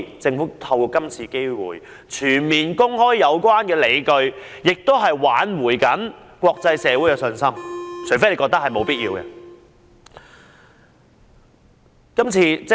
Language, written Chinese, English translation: Cantonese, 政府應藉今次機會，全面公開有關理據，挽回國際社會的信心，除非政府認為沒有此必要。, The Government should take this opportunity to fully publicize all the justifications in order to restore the confidence of the international community unless the Government considers that it is unnecessary to do so